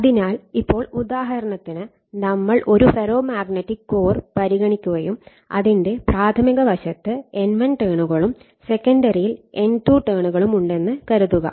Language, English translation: Malayalam, So, now, for example, suppose, if you consider your what you call a ferromagnetic core and you have your primary this side we call primary side say you have N1 number of turns here, it is N1 number of turns and you have the secondary you have N2 number of turns